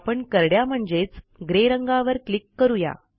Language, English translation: Marathi, Let us click on Grey color